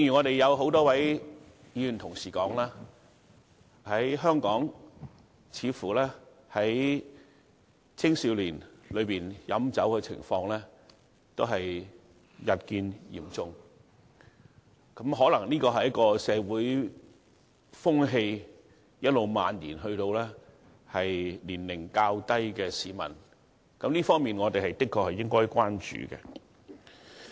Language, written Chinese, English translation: Cantonese, 正如很多議員所說，香港青少年飲酒情況似乎日趨嚴重，可能這是一股社會風氣，一直漫延至年齡較小的市民。這個現象，我們的確需要關注。, As suggested by many Members the consumption of liquor by young people in Hong Kong is apparently getting more rampant . This perhaps is a social trend which is now extending its influence to junior citizens a phenomenon we must pay attention to